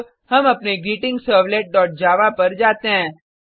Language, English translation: Hindi, Now, let us go to our GreetingServlet.java